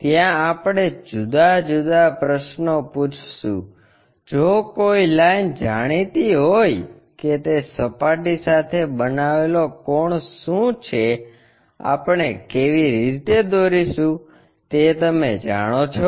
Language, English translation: Gujarati, There we will ask different questions, if a line is known what is the angle it is making with the planes we know how to draw projections